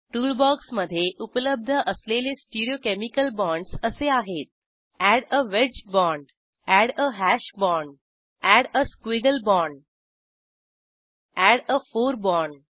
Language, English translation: Marathi, Stereochemical bonds available in the tool box are, * Add a wedge bond, * Add a hash bond, * Add a squiggle bond * and Add a fore bond